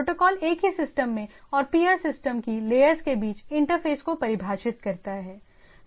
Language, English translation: Hindi, Protocol defines the interface between the layers in the same system and with the layers of peer system